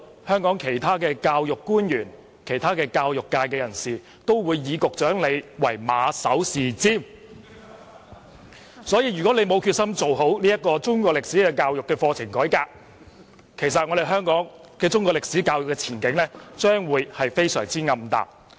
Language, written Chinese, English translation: Cantonese, 香港其他教育官員和教育界人士均唯局長馬首是瞻，因此，如果局長沒有決心做好中史課程改革，香港的中史教育前景將會非常暗淡。, As other education officials and members of the education sector look up to the leadership of the Secretary if the Secretary does not have the determination to reform the Chinese History curriculum the future of Chinese history education in Hong Kong will be very bleak